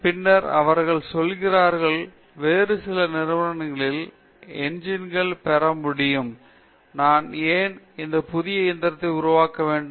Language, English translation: Tamil, Then, they say, I can get the engine from some other company; why should I make a new engine